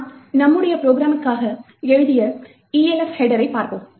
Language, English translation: Tamil, So let us see the Elf header for our program that we have written